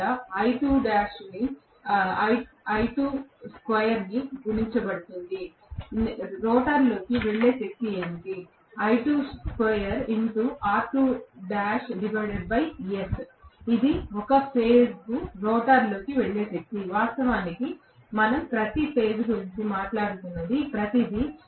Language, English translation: Telugu, multiplied by I2 square this is what is the power going into the rotor this is the power that is going into the rotor per phase, of course, everything we are talking about per phase